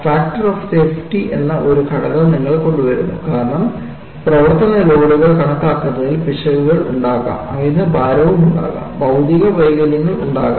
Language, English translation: Malayalam, You bring in a factor called factor of safety, because there may be mistakes in calculating the service loads; there may be over loads; there may be material defects